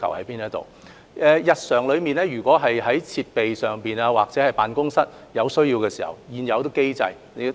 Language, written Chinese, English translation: Cantonese, 港台在日常運作中，如果對設施或辦公室有需要，政府會按現有機制處理。, Regarding the demand of RTHK for facilities or offices in its daily operation the Government will deal with it under the existing mechanism